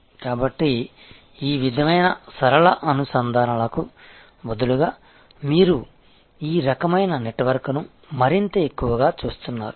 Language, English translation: Telugu, So, in a way instead of this kind of linear linkages by you are looking more and more at this kind of networks